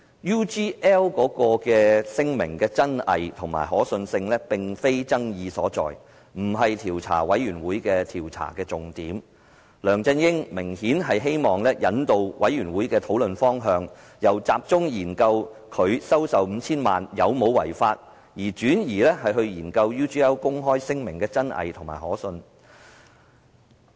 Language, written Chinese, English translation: Cantonese, UGL 聲明的真偽和可信性，並非爭議所在，不是專責委員會的調查重點，梁振英明顯希望引導專責委員會的討論方向，由集中研究他收受 5,000 萬元有否違法，轉而研究 UGL 公開聲明的真偽和可信性。, The authenticity and credibility of UGLs statement is not the point of dispute or the focus of the Select Committees inquiry; LEUNG Chun - ying obviously wanted to guide the direction of the Select Committees discussions from focusing on studying whether he had violated the law in receiving 50 million to focusing on studying the authenticity and credibility of UGLs statement